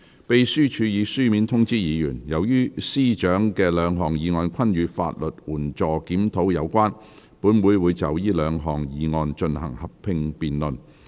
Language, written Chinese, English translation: Cantonese, 秘書處已書面通知議員，由於司長的兩項議案均與法律援助輔助計劃有關，本會會就這兩項議案進行合併辯論。, The Secretariat has informed Members in writing that as the Chief Secretary for Administrations two motions are related to the review of the legal aid this Council will proceed to a joint debate on the two motions